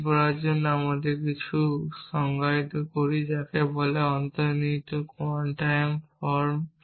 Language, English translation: Bengali, To do that we define something in what is called an implicit quantifier form